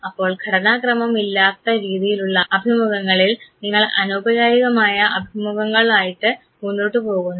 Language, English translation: Malayalam, So, in the unstructured format of the interviews you go ahead with informal interviews where you have no fixed questions